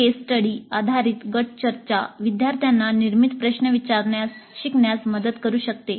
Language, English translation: Marathi, Case study based group discussions may help students in learning to ask generative questions